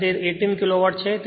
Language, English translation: Gujarati, 6 and it is 3 Kilowatt